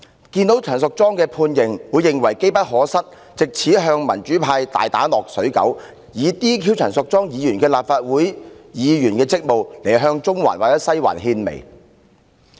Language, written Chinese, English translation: Cantonese, 既然陳淑莊議員被判刑，他們便會認為是機不可失，可乘機打擊民主派，藉解除陳淑莊議員的立法會議員職務向"中環"或"西環"獻媚。, As Ms Tanya CHAN has been sentenced to imprisonment they would not miss the chance to strike a blow to the pro - democracy camp . By relieving Ms Tanya CHAN of her duties as a Member of the Legislative Council they try to ingratiate themselves with Central and Western District